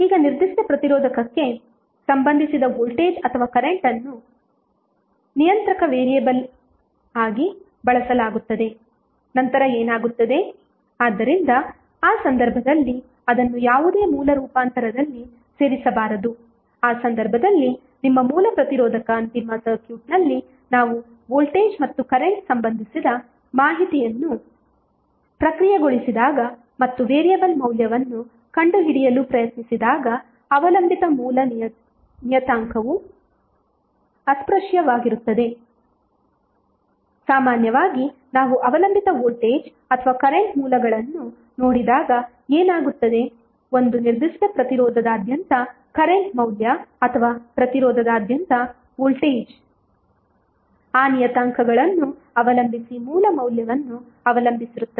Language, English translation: Kannada, Now, voltage or current associated with particular resistor is used as a controlling variable then what will happen, so in that case it should not be included in any source transformation so, in that case your original resistor must be retain so that at the final circuit when we process the information related to voltage and current and try to find out the variable value, the dependent source parameter is untouched so, generally what happens that when we see the dependent voltage or current sources the current value across a particular resistance or voltage across the resistance would be depending upon the source value would be depending upon those parameters